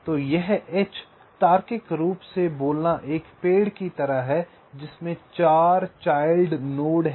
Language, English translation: Hindi, so this h, logically speaking, is like a tree with four child nodes